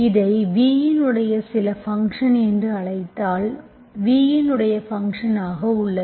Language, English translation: Tamil, If I call this some function of v, so you have funtion of v